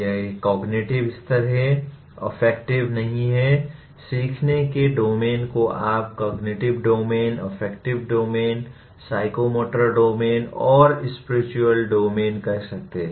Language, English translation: Hindi, It is a cognitive level, affective, it is not really, domains of learning you can say cognitive domain, affective domain, psychomotor domain and spiritual domain